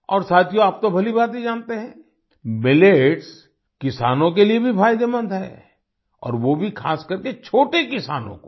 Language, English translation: Hindi, And friends, you know very well, millets are also beneficial for the farmers and especially the small farmers